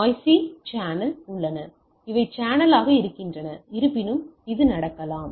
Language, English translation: Tamil, There are noisy channels these are channel so, though it may happen